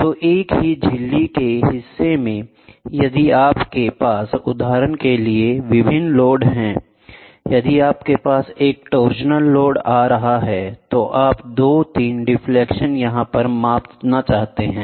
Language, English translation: Hindi, So, in the same membrane member, if you have a various loads for example, if you have a torsional load coming up, so then you want to measure 2 3 deflections